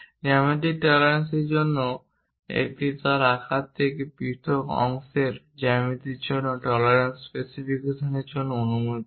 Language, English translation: Bengali, For geometric tolerancing it allows for specification of tolerance, for geometry of the part separate from its size